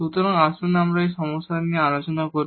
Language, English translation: Bengali, So, let us discuss the problem here